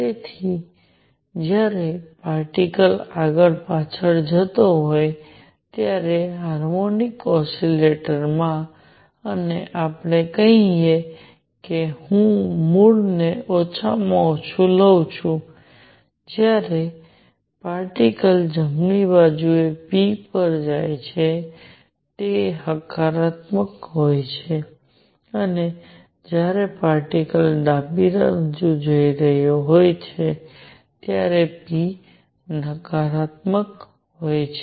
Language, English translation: Gujarati, So, in a harmonic oscillator when the particle is going back and forth, and let us say that I take the origin to be at the minimum, when the particle is going to the right p is positive and when the particle is going to the left p is negative